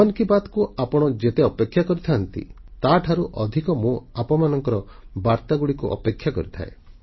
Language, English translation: Odia, Much as you wait for Mann ki Baat, I await your messages with greater eagerness